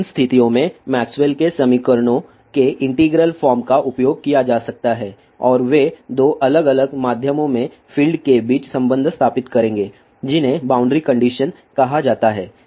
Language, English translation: Hindi, In those situations integral form of Maxwell's equations can be used and they will establish relationship between the fields in two different mediums they are called as boundary contagions